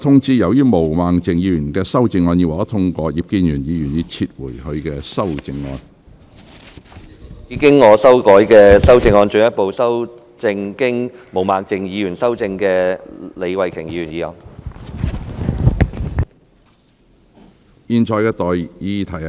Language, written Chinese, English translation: Cantonese, 主席，我動議我經修改的修正案，進一步修正經毛孟靜議員修正的李慧琼議員議案。, President I move that Ms Starry LEEs motion as amended by Ms Claudia MO be further amended by my revised amendment